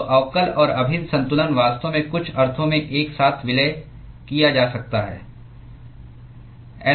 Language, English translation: Hindi, So, the differential and the integral balance can actually be merged together in some sense